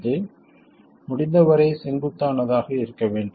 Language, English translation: Tamil, It has to be as steep as possible